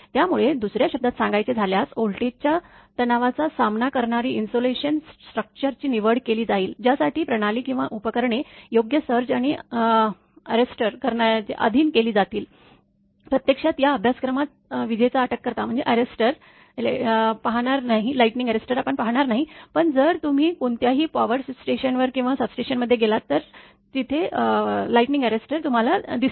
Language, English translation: Marathi, So, in other words it is the selection of an insulation structure that will withstand the voltage stresses, to which the system or equipment will be subjected together with the proper surge arrester, actually in this course lightning arrester will not cover, but you have the if you go to any power station or substation you will find lightning arrester is there